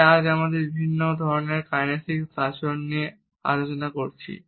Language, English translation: Bengali, So, today we have discussed different types of kinesic behaviors